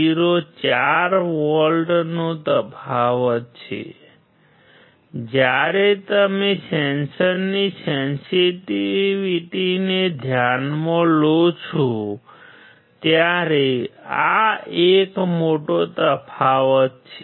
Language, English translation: Gujarati, 04 volts difference; When you consider the sensitivity of a sensor, this is a big difference